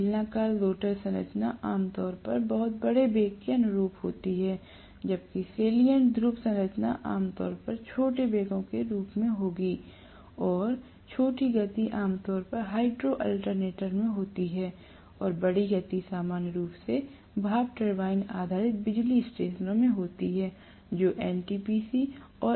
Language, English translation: Hindi, Cylindrical rotor structure generally conforms to very large velocity, whereas salient pole structure generally will correspond to smaller velocities and smaller speeds are generally in hydro alternator and larger speeds are normally in steam turbine based power stations that is NTPC and NPC power station